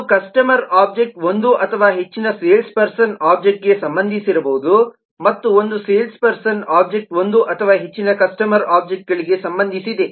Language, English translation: Kannada, one customer object may be related to one or more sales person object and one sales person object in turn would be related to one or more customer objects